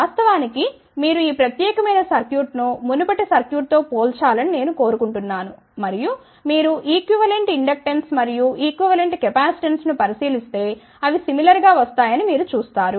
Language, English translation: Telugu, In fact, I would like you people to compare this particular circuit with the previous circuit and you will actually see that if you look at the equivalent inductance and equivalent capacitance they are coming out to be similar ok